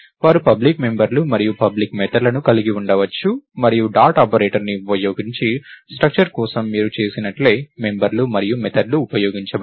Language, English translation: Telugu, And they may have public members and public methods, and the members and methods are going to be used just like you do it for structures using the dot operator